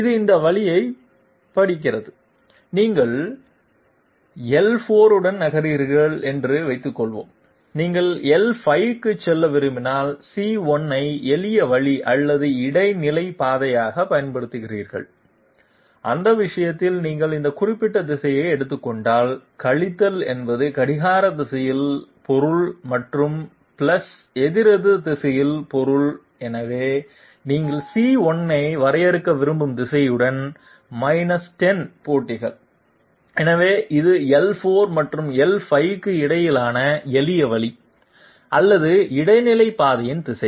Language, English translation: Tamil, It reads this way, suppose you are moving along L4, if you go want to go to L5, using C1 as a shortcut or intermediate path, in that case if you take this particular direction, minus means clockwise and plus means counterclockwise, so along a radius of 10 matches with the direction you intend to define C1, so this is the direction of the shortcut or intermediate path between L4 and L5 along radius 10